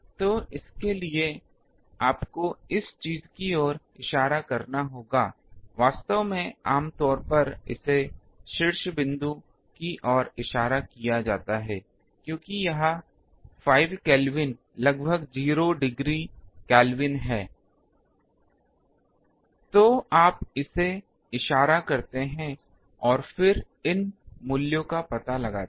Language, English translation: Hindi, So, for that you need to point it to the thing, actually generally it is pointed to the zenith because that is 5 degree Kelvin almost 0 degree Kelvin you can say